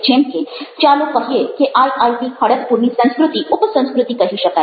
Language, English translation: Gujarati, let say, the culture of i i t kharagpur can be considered as a sub culture